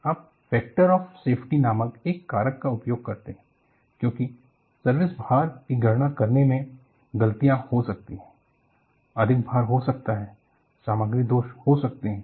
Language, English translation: Hindi, You bring in a factor called factor of safety, because there may be mistakes in calculating the service loads; there may be over loads; there may be material defects